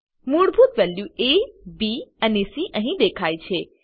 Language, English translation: Gujarati, The default values of A, B and C are displayed here